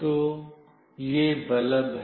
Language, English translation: Hindi, So, this is the bulb